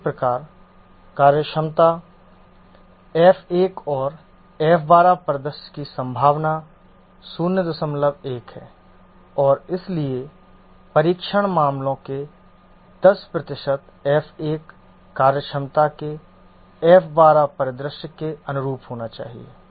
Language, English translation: Hindi, 1 is the probability of the F12 scenario of functionality F1 and therefore 10% of the test cases should correspond to the F1 to the F1 to scenario of the F1 functionality